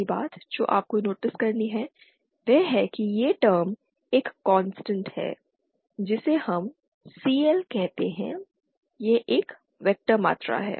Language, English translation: Hindi, First thing that you have to notice is this term is a constant let us say called CL this is a vector quantity